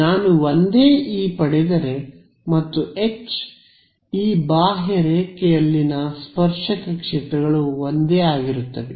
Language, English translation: Kannada, If I get the same E and H the tangential fields on this contour are the same